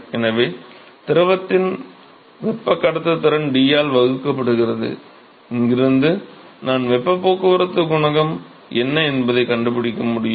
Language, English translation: Tamil, So, conductivity of the fluid divided by D, from here I should be able to find out what is the heat transport coefficient right